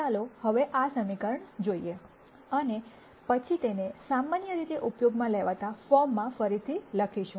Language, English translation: Gujarati, Now let us look at this equation, and then rewrite it in a form that is generally used